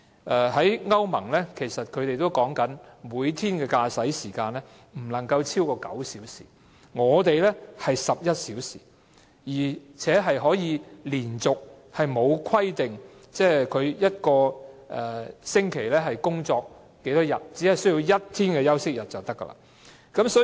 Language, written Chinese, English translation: Cantonese, 根據歐盟的規定，司機每天的駕駛時間不超過9小時，香港則是11小時，而且沒有規定每周可以連續工作多少天，只需要有1天休息日便可。, According to the standard of the European Union a driver should drive for no more than nine hours per day comparing to 11 hours in Hong Kong and this aside we have no stipulation on how many consecutive days a driver can work per week so long as the drivers have one rest day